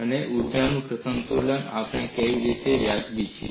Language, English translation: Gujarati, And how we are justified in writing this energy balance